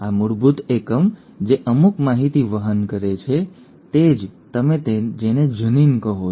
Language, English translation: Gujarati, This basic unit which carries certain information is what you call as a “gene”